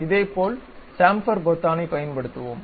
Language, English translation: Tamil, Similarly, let us use Chamfer button